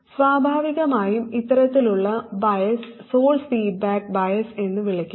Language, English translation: Malayalam, And this type of biasing naturally is known as source feedback bias